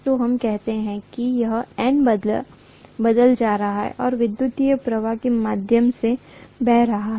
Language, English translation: Hindi, So let us say it has N turns and let us say I am going to have an electric current of I flowing through this, okay